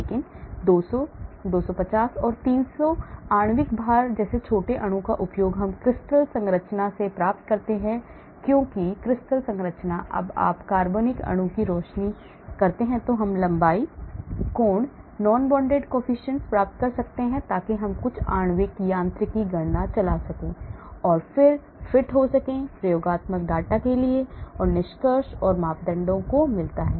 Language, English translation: Hindi, But using small molecule like 200, 250, 300 molecular weight we get from crystal structure because crystal structures when you crystalize the organic molecule we can get the length, angle, non bonded coefficients so we can run some molecular mechanics calculations and then fit the findings to the experimental data and get the parameters